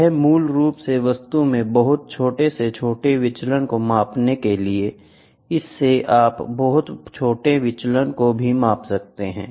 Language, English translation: Hindi, This is basically to measure very small deviations in the object, very small deviations in the object you will be able to measure